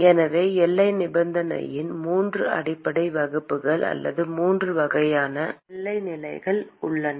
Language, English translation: Tamil, So, there are three basic classes of boundary condition or three types of boundary condition